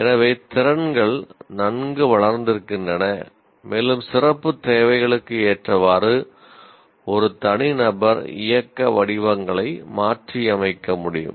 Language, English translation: Tamil, So skills are well developed and the individual can modify movement patterns to fit special requirements